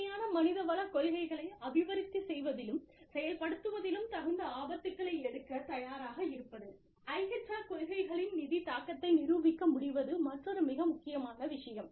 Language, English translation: Tamil, Being willing to take appropriate risks, in development and implementation of, innovative HR policies Being able to demonstrate, the financial impact of IHR policies, is another very important thing